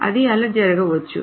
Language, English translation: Telugu, It may happen that way